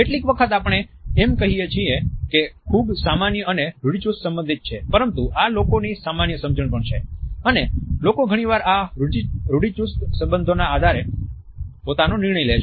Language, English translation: Gujarati, Sometimes we can try to write it off by saying that it is a very common and a stereotypical association, but this is also the common understanding and people often make their judgement on the basis of these a stereotypical associations only